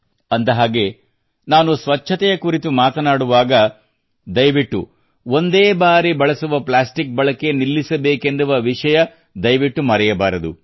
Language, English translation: Kannada, And yes, when I talk about cleanliness, then please do not forget the mantra of getting rid of Single Use Plastic